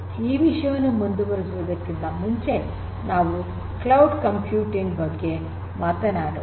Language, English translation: Kannada, So, before we go in further, let us talk about cloud computing in little bit more detail